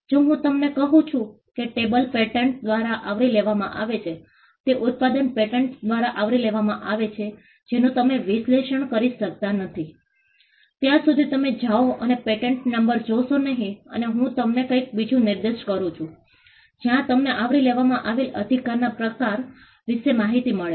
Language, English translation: Gujarati, If I tell you that the tablet is covered by a patent the product that is in the tablet is covered by a patent that is something which you cannot analyze unless you go and look at the patent number and I direct you to something else where you get an information about the kind of right that is covered